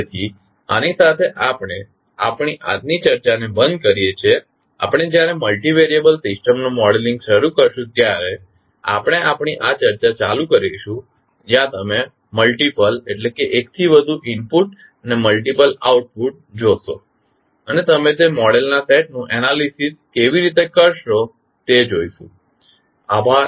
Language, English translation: Gujarati, So with this we can close our today’s discussion, we will continue our discussion while we start modelling the multi variable system where you will see multiple input and multiple output and how you will analyze those set of model, thank you